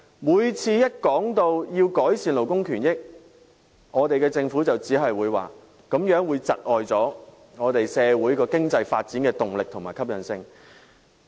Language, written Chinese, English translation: Cantonese, 每當談及要改善勞工權益，便只會表示這樣會窒礙社會經濟發展的動力和吸引力。, Every time we talk about improving labour rights and interests it will only indicate that this will dampen the impetus to economic development and appeal of society